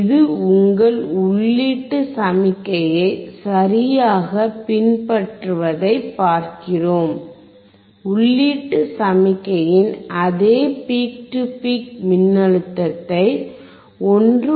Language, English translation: Tamil, We will see it exactly follows your input signal it follows the same peak to peak voltage of an input signal you can see it is from 1